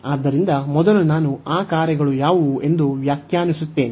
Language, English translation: Kannada, So, first I will define what are those functions